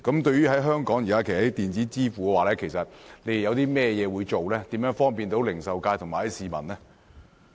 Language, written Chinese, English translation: Cantonese, 對於香港現時在電子支付方面，當局會推行甚麼措施，以方便零售界和市民？, As regards electronic payment in Hong Kong what measures will the authorities put in place to for the convenience of the retail trades and the public?